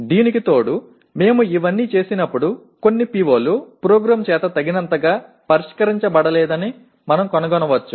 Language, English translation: Telugu, In addition to this, when we do all these we may find certain POs are not adequately addressed by the program